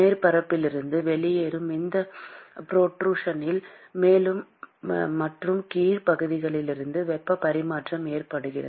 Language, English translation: Tamil, And you have heat transfer occurring from the upper and the lower part of this protrusion that comes out of the surface